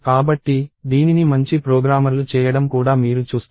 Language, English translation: Telugu, So, this is also something that you will see, a good programmers doing